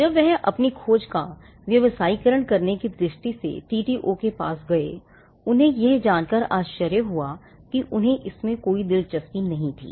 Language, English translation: Hindi, When he approach the TTO with a view to commercializing his discovery; he was surprised to learn that they were not interested